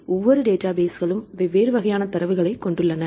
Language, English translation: Tamil, Each databases they have different types of data right